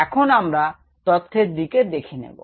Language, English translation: Bengali, now we look at the data